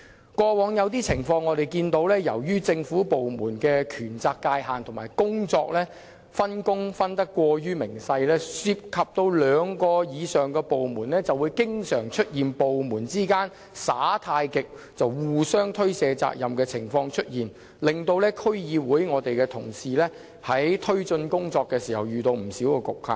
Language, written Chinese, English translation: Cantonese, 以往曾出現一些情況，由於政府部門的權責界限及分工過於仔細，涉及兩個以上部門，就會經常出現部門間"耍太極"、互相推卸的情況，令區議會同事在推進工作遇到不少局限。, Because of various constraints of powers and responsibilities and detailed division of labour among government departments there had been cases where more than two departments were involved they always played tai chi or passed the buck to one another thus shifting their responsibilities and as a result DC members find it very hard to take forward their work